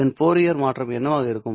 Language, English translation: Tamil, What would be the Fourier transform of this